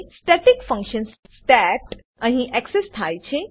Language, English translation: Gujarati, Static function stat is accessed here